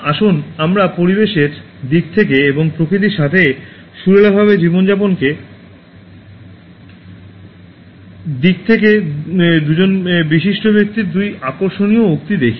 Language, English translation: Bengali, Let us look at two interesting quotes from two eminent people in terms of environment and living harmoniously with nature